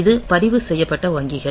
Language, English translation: Tamil, So, it is the registered bank independent